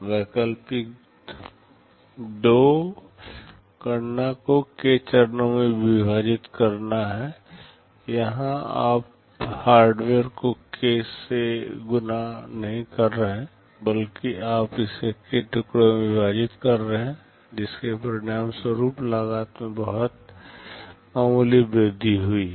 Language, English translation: Hindi, Alternative 2 is to split the computation into k stages; here you are not multiplying the hardware by k, rather the you are splitting it into k pieces resulting in very nominal increase in cost